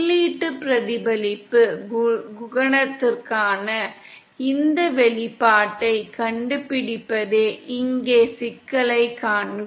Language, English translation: Tamil, See the problem here is to find out this expression for input reflection coefficient